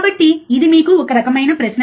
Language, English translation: Telugu, So, that is the kind of question for you